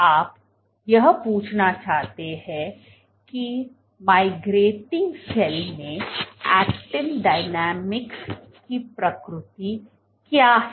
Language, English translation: Hindi, You want to ask what is the nature of actin dynamics in a migrating cell